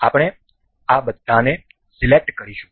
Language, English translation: Gujarati, We will select all of these